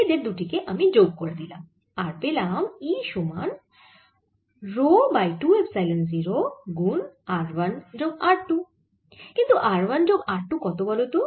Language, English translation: Bengali, i add the two and i get e is equal to rho over two epsilon zero, r one plus r two